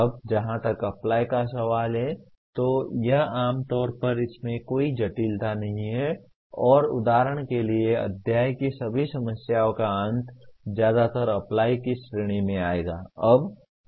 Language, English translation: Hindi, Now as far as apply is concerned, that is fairly commonly there is no complication in that and for example all the end of the chapter problems mostly will come under the category of apply